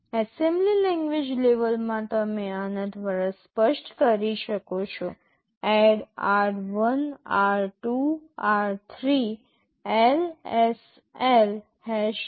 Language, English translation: Gujarati, In the assembly language level you can specify like this: ADD r1, r2, r3, LSL #3